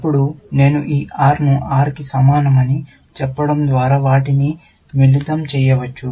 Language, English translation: Telugu, Then, I can combine them by saying this R equal to R